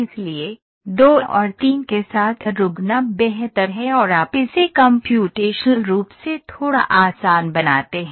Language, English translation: Hindi, So, it is better to stop with 2 and 3 and you also make it computationally little easy